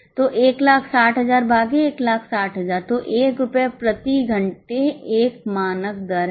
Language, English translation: Hindi, So, 160 upon 160, that means rupee 1 per hour is a standard rate